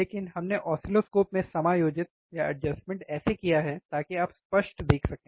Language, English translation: Hindi, But we adjusted in the oscilloscope so that you can see clearly, right